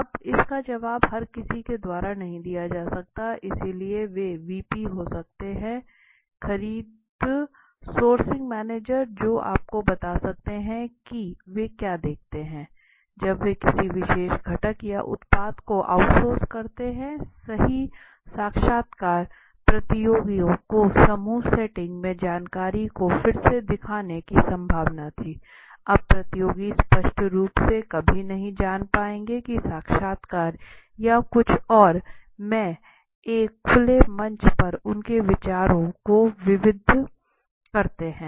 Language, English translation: Hindi, Now that cannot be answer by everybody so they may be VP the purchase the sourcing manager are somebody can tell you okay what do they look in when they outsource a particular component or a product right interviews competitors were likely to reveal the information in group setting now competitors would obviously never you know diverse their ideas on a open platform in a interview or something